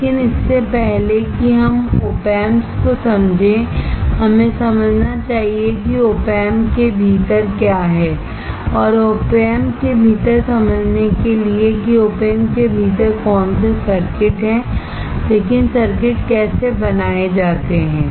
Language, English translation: Hindi, But before we understand Op Amps we should understand what is within Op Amp and for understanding within Op Amp not in terms of what are the circuits within Op Amp, but how the circuits are fabricated